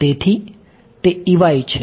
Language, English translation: Gujarati, that is what is